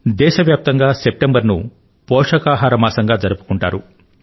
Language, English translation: Telugu, The month of September will be observed as Nutrition Month in the entire nation